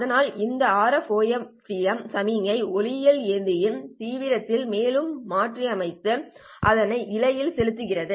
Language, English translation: Tamil, So this RFOFDM signal is further modulated on the intensity of the optical carrier and launched into the fiber